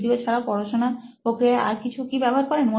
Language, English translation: Bengali, So other than videos, do you use any other material in your learning activity